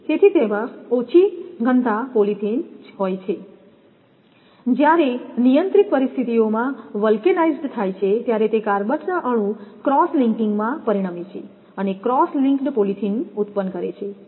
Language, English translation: Gujarati, So, it has low density polythene, when vulcanized under controlled conditions results in cross linking of carbon atoms and produces cross linked polythene